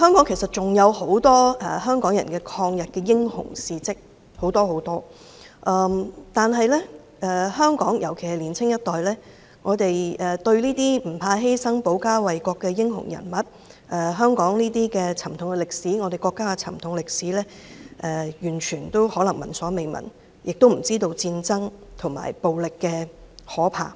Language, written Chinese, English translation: Cantonese, 其實，香港還有很多香港人抗日的英雄事跡，但香港人，特別是年輕一代，對這些不怕犧牲、保家衞國的英雄人物，以及香港及國家的沉痛歷史可能聞所未聞，亦不知道戰爭及暴力的可怕。, In fact there are many other heroic deeds of Hong Kong people in resisting against Japanese aggression . Hong Kong people especially the younger generation however have never heard of these heroes who were not afraid of sacrifice and defended the country as well as the horrifying truth of war and violence